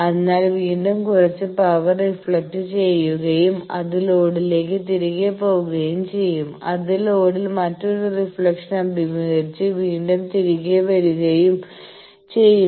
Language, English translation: Malayalam, So, again some power that will be reflected and go back to the load, again that will face another reflection at the load that will come back etcetera